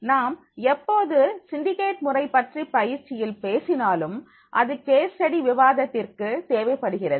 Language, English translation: Tamil, Whenever we talk about the syndicate method of the training, then that is required, that is how the one is for case study discussion suppose